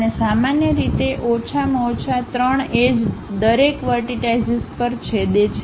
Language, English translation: Gujarati, And, usually minimum of 3 edges must intersect at each vertex